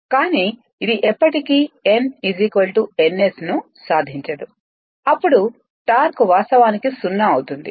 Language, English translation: Telugu, But it will never achieve n is equal to n s, then torque will be actually 0 right